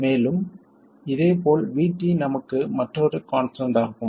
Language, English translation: Tamil, And similarly VT is another constant for us